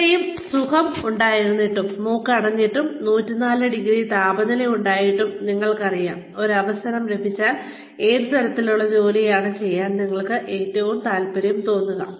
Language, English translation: Malayalam, Despite being so sick, you know, despite having a clogged nose, and a 104 degree temperature, if given an opportunity, what kind of work, would you feel, most interested in doing